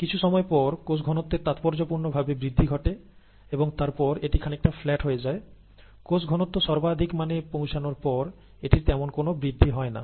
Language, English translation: Bengali, After a certain time, there is a significant increase in cell concentration, and then there is, it kind of flattens out, there is not much of an increase in cell concentration after it reaches its maximum value